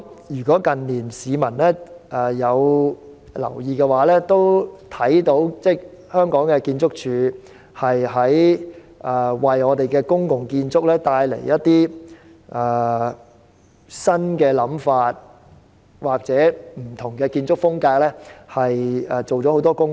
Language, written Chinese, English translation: Cantonese, 如果市民近年有留意，也看到建築署在為公共建築帶來新想法或不同建築風格方面做了很多工夫。, If the public have paid attention to this in recent years they may have noticed that ArchSD has made considerable efforts in introducing new concepts or different architectural styles in public buildings